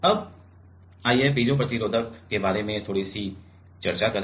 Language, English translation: Hindi, Now, let us discuss a bit about piezo resistive one